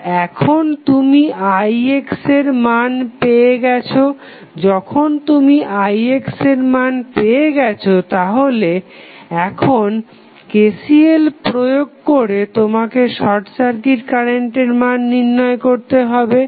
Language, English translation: Bengali, So, now, you get you get the value of Ix, when you get the value of Ix you have to just run the KCL at node and find out the value of the short circuit current